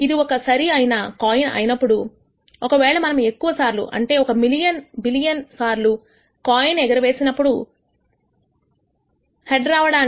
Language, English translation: Telugu, If it is a fair coin then if we toss the coin a large number of times large meaning million billion times, then the probability of head occurring would be approximately equal to 0